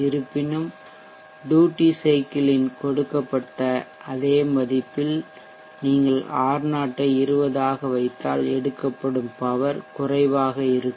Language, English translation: Tamil, However at the given same value duty cycle, if you put R0 as 20 the power lawn will be vey less